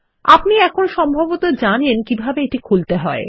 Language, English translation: Bengali, You probably know how to open this by now